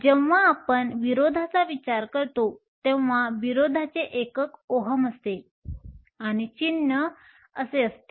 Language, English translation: Marathi, When we think of resistance the unit of resistance is ohm and the symbol is Omega